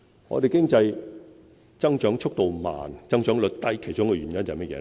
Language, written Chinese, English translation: Cantonese, 我們的經濟增長速度慢、增長率低，其中一個原因是甚麼？, Our economy has been growing slowly at a low rate and what is one of the contributing reasons?